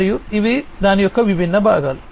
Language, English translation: Telugu, And these are the different components of it